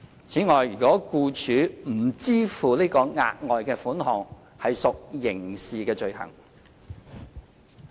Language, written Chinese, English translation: Cantonese, 此外，僱主如不支付該筆額外款項屬刑事罪行。, Moreover it is a criminal offence if the employer fails to pay the further sum